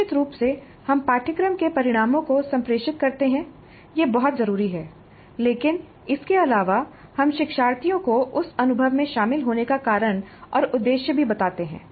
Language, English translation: Hindi, So certainly we communicate course outcomes that is very essential but beyond that we also inform the learners the reason for and purpose of engaging in that experience